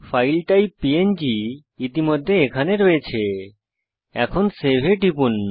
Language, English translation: Bengali, The File type is already here png , and click Save